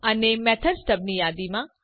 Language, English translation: Gujarati, And in the list of method stubs